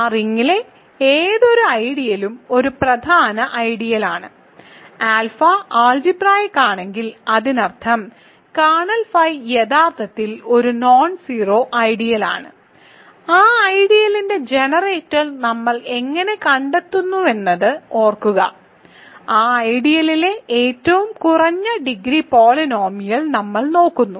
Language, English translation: Malayalam, So, any ideal in that ring is a principal ideal, if alpha is further algebraic; that means, kernel phi is actually a nonzero ideal and remember how we figure out the generator of that ideal we simply look at the least degree polynomial content in that ideal